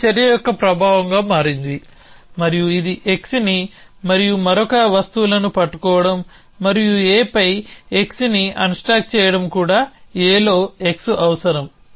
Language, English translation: Telugu, So, become an effect of this action and it also produce holding x and another things and unstack x on A needs x to be on A